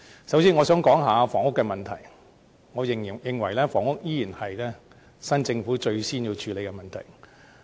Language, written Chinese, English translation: Cantonese, 首先，我想談談房屋問題。我認為房屋依然是新政府最先需要處理的問題。, First of all I would like to talk about the housing issue which I think will remain the top priority task of the new Government